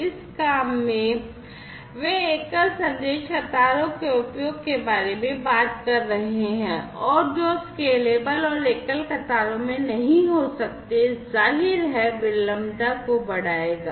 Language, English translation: Hindi, In this work, they are talking about the use of single message queues and which may not be scalable and single queues; obviously, will increase the latency